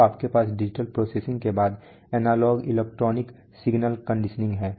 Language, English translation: Hindi, So you have analog electronic signal conditioning followed by digital processing